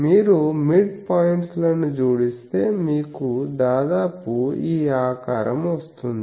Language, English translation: Telugu, So, if you add the midpoints you get more or less that shape you can come ok